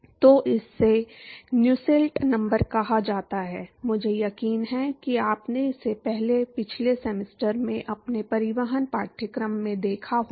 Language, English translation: Hindi, So, this is what is called Nusselt number, I am sure you must have seen this in your transport course in last semester